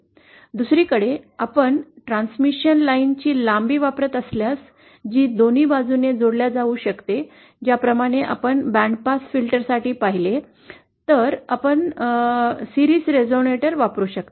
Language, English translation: Marathi, If on the other hand you are using length of the transmission line which can be connected on both sides as we saw for band pass filter, then you may use a series resonator